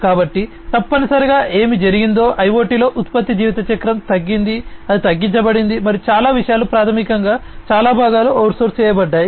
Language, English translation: Telugu, So, the essentially what has happened is in IoT the product life cycle has reduced it has shortened, and a lot of things are basically lot of components are out sourced